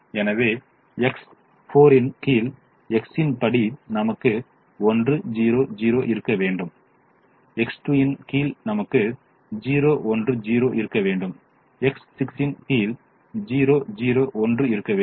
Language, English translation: Tamil, so according to x under x four, we should have one zero, zero under x two we should have zero one